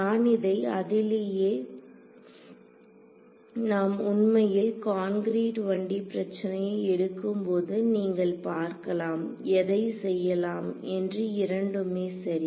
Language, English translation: Tamil, So, I leave it at that when we actually take a concrete 1 D problem you will see which one to do both are correct yes ok